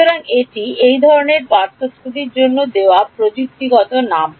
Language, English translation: Bengali, So, this is the technical name given to this kind of a difference